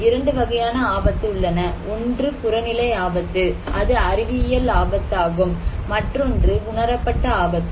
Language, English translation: Tamil, So, we are saying that there are 2 kind of risk; one is objective risk that is scientific risk; another one is the perceived risk